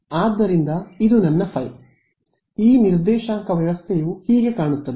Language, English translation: Kannada, So, this is my phi hat that is what this coordinate system looks like that